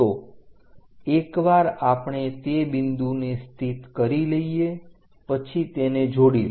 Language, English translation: Gujarati, So, once we locate that point join it